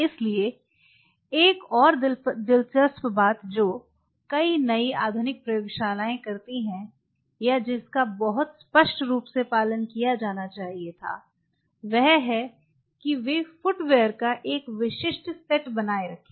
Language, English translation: Hindi, So, another interesting thing which many new modern labs do follow is or rather should be very clearly followed that they maintain a specific set of footwears